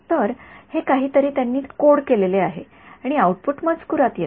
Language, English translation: Marathi, So, again this is something that they have coded and output comes in text